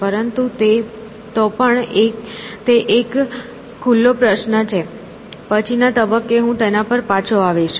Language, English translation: Gujarati, But, anyway that is an open question; may be at later point I will come back to it